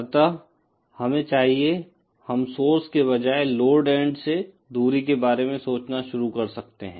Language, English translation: Hindi, So, then we should, we might as well start thinking of distances from the load end instead of the source end